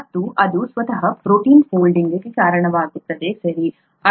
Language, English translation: Kannada, And that is what results in protein folding by itself, okay